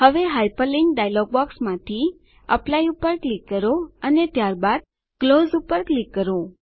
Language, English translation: Gujarati, Now, from the Hyperlink dialog box, click on Apply and then click on Close